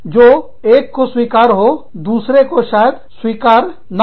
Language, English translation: Hindi, What is acceptable to one, may not be acceptable to another